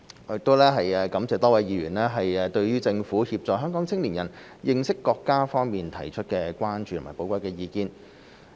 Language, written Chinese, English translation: Cantonese, 我亦感謝多位議員對政府協助香港青年人認識國家方面提出的關注和寶貴意見。, I would also like to thank the many Members who have expressed their concerns and valuable views about the Government assisting young people from Hong Kong in understanding our country